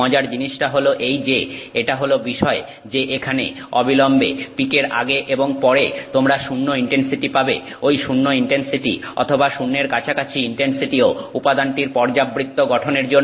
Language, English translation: Bengali, What is interesting is that this, the fact that you get zero intensity here immediately after the peak and immediately before the peak you are getting zero intensity, that zero intensity or near zero intensity is also due to periodic structure of the material